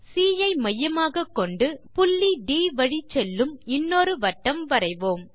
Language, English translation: Tamil, Let us construct an another circle with center C which passes through D